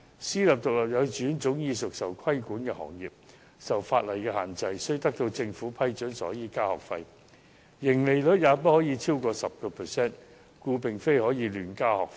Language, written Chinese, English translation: Cantonese, 私營獨立幼稚園早已是被規管行業，受法例限制，必須獲得政府批准才可增加學費，而且盈利率不可超過 10%， 所以不能夠亂加學費。, However those who hold such opinions are actually biased as privately - run kindergartens have long been a sector under regulation and subject to statutory restrictions . They must obtain government approval before they can raise their tuition fees and their profit margins cannot exceed 10 %